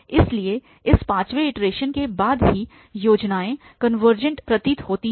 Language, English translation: Hindi, 2016 so after this fifth iteration itself the schemes seems to be convergent